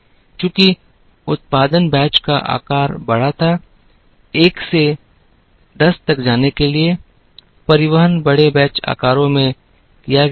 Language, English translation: Hindi, Since the production batch sizes were large, to go from 1 to 10, the transportation was done in large batch sizes